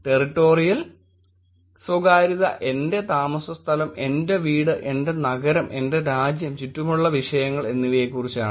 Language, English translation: Malayalam, Territorial privacy is about my living space, my home, my city, my country and, the topics around that